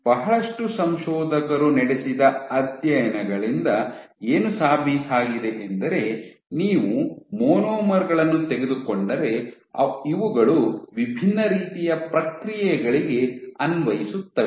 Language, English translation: Kannada, What has been demonstrated by a range of studies a lot of lot of researches that if you take monomers and these apply for multiple different type of processes